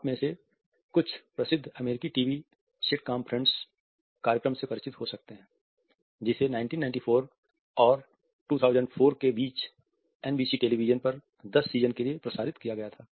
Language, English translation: Hindi, Some few of might be familiar with the famous American TV sitcom friends, which was aired between 1994 and 2004 for 10 seasons on NBC television